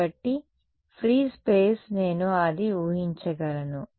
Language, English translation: Telugu, So, free space I can make that assumption